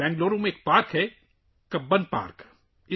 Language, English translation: Urdu, There is a park in Bengaluru – Cubbon Park